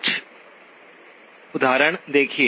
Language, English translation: Hindi, Look at some examples